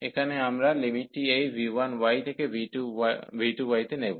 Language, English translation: Bengali, So, here therefore the limit we are going from this v 1 y to v 2 y